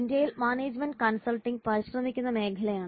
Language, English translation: Malayalam, In India, management consulting is a growing field of endeavor